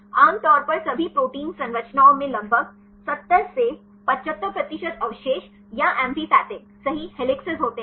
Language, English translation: Hindi, Generally in all protein structures about 70 75 percent of residues or amphipathic right, the helices